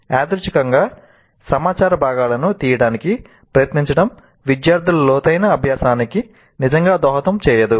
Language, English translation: Telugu, Randomly trying to pick up pieces of information would not really contribute to any deep learning by the students